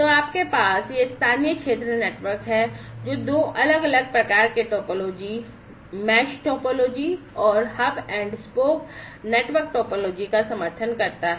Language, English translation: Hindi, So, you have this local area network, which supports two different types of topologies, the mesh topology and the hub and spoke network topology